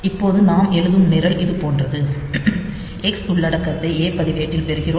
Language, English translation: Tamil, Now, the program that we write is like this that first, we get the content of X into the a register